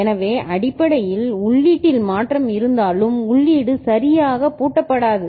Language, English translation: Tamil, So, even if input has changed the input is locked out